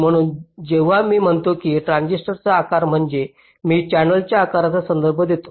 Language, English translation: Marathi, so when i say the size of a transistor means i refer to the size of a channel